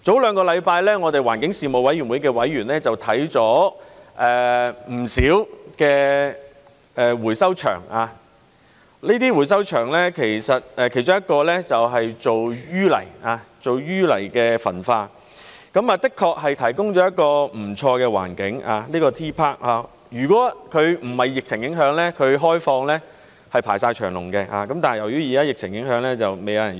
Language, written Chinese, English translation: Cantonese, 兩星期前，我們環境事務委員會的委員看了不少的回收場，其中一個是做淤泥焚化，而這個 T.PARK 的確提供了一個不錯的環境，如果不是疫情影響，它開放時是排長龍的，但現在由於疫情影響則沒有人用。, A fortnight ago our members of the Panel on Environmental Affairs visited many recycling sites . One of these sites engages in incineration of sewage sludge and this T․PARK has indeed provided quite a good environment . Had it not been for the epidemic there would have been long queues during its opening hours but no one is using it now due to the epidemic